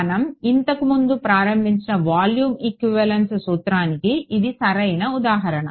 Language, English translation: Telugu, Right so this is the perfect example of volume equivalence principle which we have started earlier